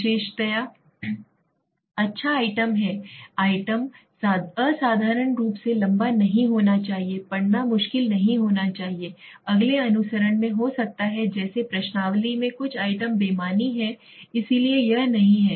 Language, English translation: Hindi, Characteristics have good item, item should not be exceptionally lengthy reading should not be difficult, although we will do this may be in the next follow of the session like in the questionnaire, some of the items are redundant so it should not happen right